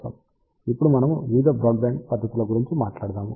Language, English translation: Telugu, Now, we will talk about various broadband techniques